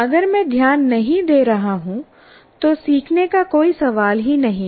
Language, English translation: Hindi, If I'm not able to, if I'm not paying attention, there is no question of learning